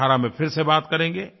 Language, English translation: Hindi, We shall converse again in 2018